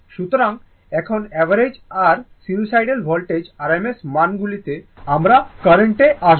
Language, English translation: Bengali, So, now if you come to this average and RMS values of a sinusoidal voltage or a current